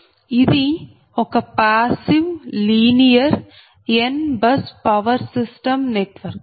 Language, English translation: Telugu, and this is the passive linear n bus power system network